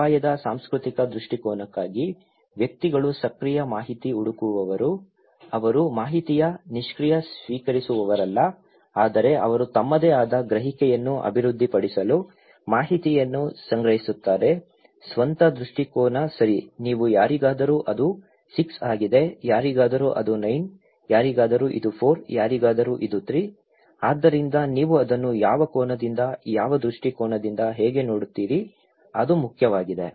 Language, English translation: Kannada, For the cultural perspective of risk, individuals are active information seeker, they are not the passive recipient of information but they also collect informations to develop their own perception, own perspective okay, like you can see for someone it is 6, for someone it is 9, for someone it is 4, someone it is 3, so how you are looking at it from which angle, from which perspective, it matters